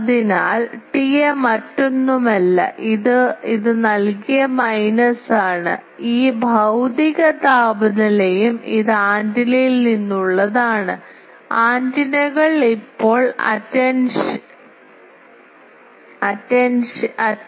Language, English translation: Malayalam, So, T A is nothing but this is the minus given by the, this physical temperature and this is from the antenna attenuates, antennas now attenuation T A